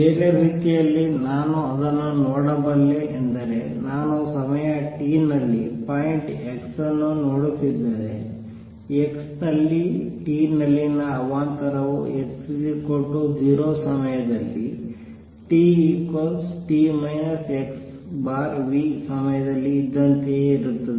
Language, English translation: Kannada, Other way, I can looking at it is if I am looking at point x at time t, the disturbance at time t at x is the same as it was at x equal to 0 at time t equals t minus x over v because it has traveled the pulse has traveled that much distance v t